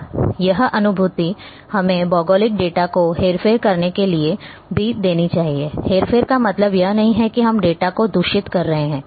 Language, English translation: Hindi, Now also it should allow us to manipulate the geographic information; manipulation doesn’t mean that we are corrupting the data